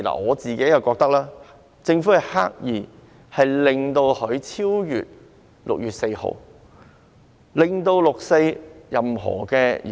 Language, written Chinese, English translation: Cantonese, 我覺得政府是刻意安排限聚令的實施期限超越6月4日，令到"六四"集會無法舉行。, In my view the Government has deliberately arranged the enforcement period of social gathering restrictions to cover 4 June so that the 4 June vigil cannot be held